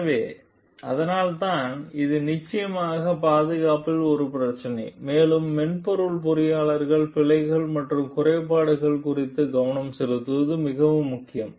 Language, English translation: Tamil, So, that is why it is definitely an issue with the safety and it is very important for the software engineers to focus on the bugs and glitches